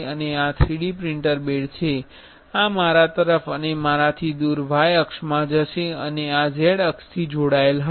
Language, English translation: Gujarati, And this is the 3D printer bed, this will go in y axis towards and away from me and this is the is z axis are combined